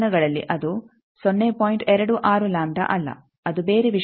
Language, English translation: Kannada, 26 lambda it is some other thing